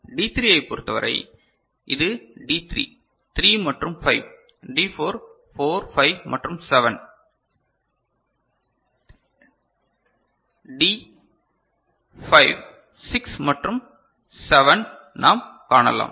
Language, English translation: Tamil, For D3, we can see this is D3 – 3 and 5, for D4 – 4, 5 and 7 and 5 for D5 – 6 and 7